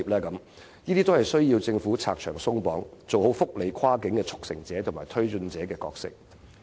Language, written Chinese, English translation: Cantonese, 凡此種種均須政府拆牆鬆綁，做好跨境福利的速成者和推進者的角色。, The Government must remove the restrictions in all such aspects and properly perform the role of facilitating and promoting cross - boundary welfare benefits